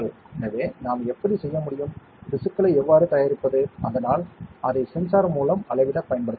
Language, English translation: Tamil, So, how can we; how do we prepare the tissues, so that it can be used to measure with the sensor